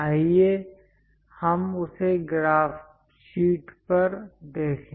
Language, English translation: Hindi, Let us look at that on the graph sheet